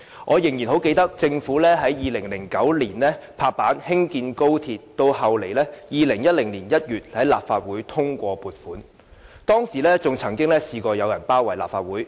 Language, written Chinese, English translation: Cantonese, 我仍然很記得，政府在2009年落實興建高鐵，到2010年1月立法會通過撥款，當時曾經有人包圍立法會。, I still remember clearly that the Government decided to construct the Guangzhou - Shenzhen - Hong Kong Express Rail Link XRL in 2009 and when the Legislative Council approved the construction funding in January 2010 some people besieged the Legislative Council Complex